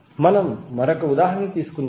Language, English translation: Telugu, Now let’s take one example